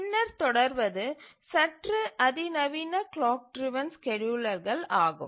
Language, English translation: Tamil, Now let's look at slightly more sophisticated clock driven schedulers